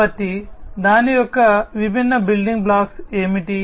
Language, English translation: Telugu, So, what are the different building blocks of it